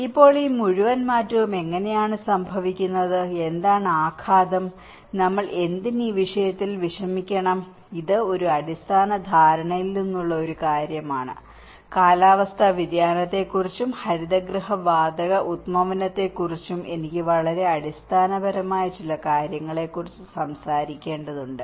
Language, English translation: Malayalam, So now, how this whole change is caused and what is the impact, why we should bother about this; this is one thing from a basic understanding, I need to talk about some very basics of the climate change and the greenhouse gas emissions